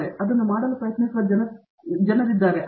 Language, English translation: Kannada, So, there are people who are trying to do that